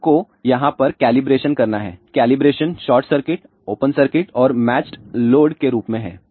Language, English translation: Hindi, You have do the calibration over here, the calibrations are in the form of short circuit open circuit and match load